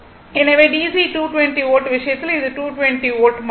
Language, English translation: Tamil, So, in case of DC 220 volts, it is 220 volt only